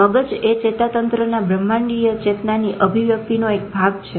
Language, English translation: Gujarati, Brain is part of nervous system, expression of cosmic consciousness